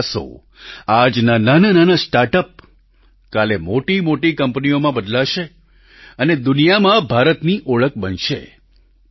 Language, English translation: Gujarati, Your efforts as today's small startups will transform into big companies tomorrow and become mark of India in the world